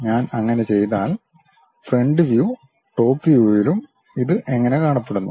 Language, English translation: Malayalam, If I do that; how it looks like in front view and top view